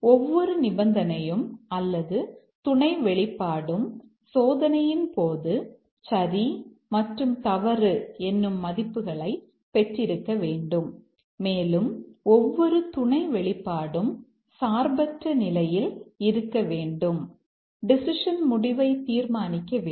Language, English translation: Tamil, Every condition or the sub expression must have got true and false values during the testing and also each sub expression should independently affect determine the outcome of the decision